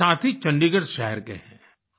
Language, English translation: Hindi, One of our friends hails from Chandigarh city